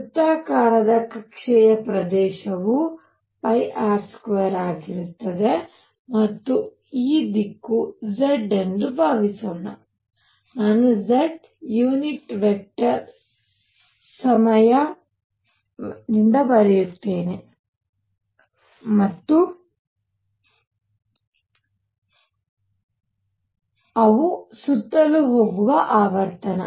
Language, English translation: Kannada, Area for a circular orbit will be pi R square and suppose this direction is z I will write z unit vector times I would be frequency of going around